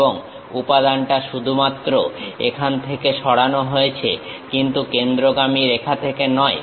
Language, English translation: Bengali, And material is only removed from here, but not from center line